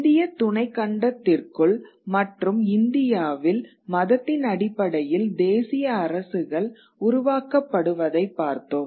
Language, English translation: Tamil, In India within the Indian subcontinent we have seen the creation of religion nation states on the basis of religion